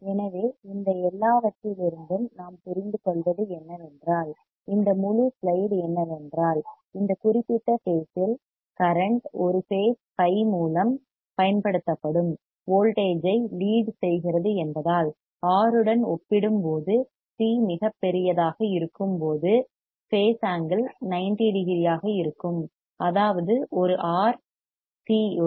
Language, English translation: Tamil, So, what we understand from this everything, this whole slide is that in this particular phase since the current is leading the applied voltage by an angle phi what we find is that the when the c is very large as compared to R the phase angle tends to be 90 degree; that means, with one R and c